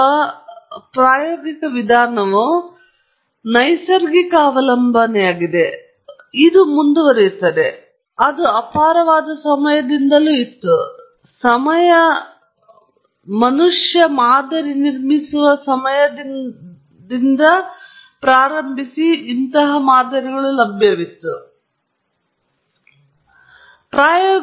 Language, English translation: Kannada, So, the experimental or the empirical approach is a natural recourse and that will continue; it’s here to stay; it’s been there since times immemorial; it has been there from the time man has started to build models, try to understand processes from observations